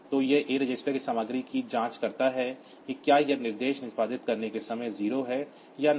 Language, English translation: Hindi, So, it checks the content of a register whether it is 0 or not at the time of executing this instruction